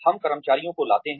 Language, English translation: Hindi, We bring the employees